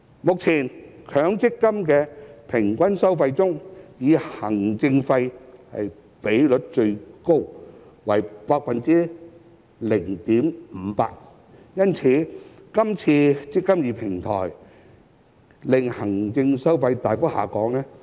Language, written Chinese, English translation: Cantonese, 目前，強積金的平均收費中以行政費的比率最高，為 0.58%， 因此，今次的"積金易"平台旨在令行政費大幅下降。, Currently the administration fee at 0.58 % accounts for the largest proportion of the average fee . For that reason this eMPF Platform is aimed at achieving a substantial reduction in the administration fee